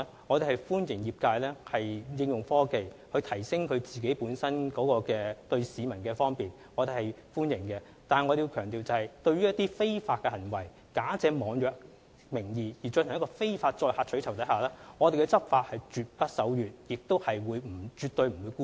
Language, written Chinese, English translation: Cantonese, 我們歡迎業界利用科技，為市民提供更方便的服務，但我們必須強調，對於一些假借網約的名義而進行的非法取酬活動，我們的執法絕不手軟，亦絕對不會姑息。, While we welcome the use of advanced technology by the trade to provide more convenient services for members of the public we must stress that the Government will take stern enforcement actions against illegal carriage of passengers for reward and will not condone such activities